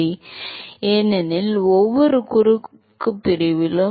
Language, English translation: Tamil, Because at every cross section